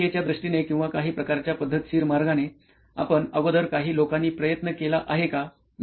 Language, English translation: Marathi, So in terms of process or in terms of some kinds of systematic way, have you guys attempted something in the past